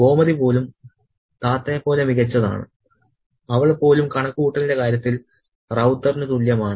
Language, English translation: Malayalam, Even Gomethi is as superior as Tata, even she is as equal as Ravta in terms of calculation